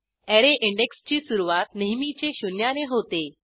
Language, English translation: Marathi, Please note that an Array always starts with index zero